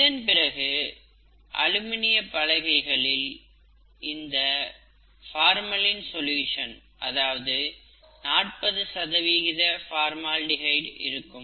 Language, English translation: Tamil, And then, we use what are called aluminum boards, in which we have this formalin solution, forty percent formaldehyde solution